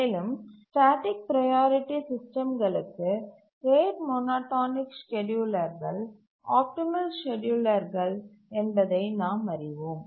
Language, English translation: Tamil, We have already seen this that for static priority systems, rate monotonic schedulers are the optimal schedulers